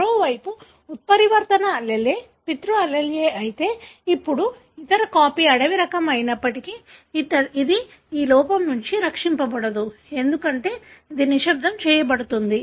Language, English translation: Telugu, On the other hand if the mutant allele happened to be the paternal allele, now that, although the other copy is wild type, this cannot rescue this, defect, because this gets silenced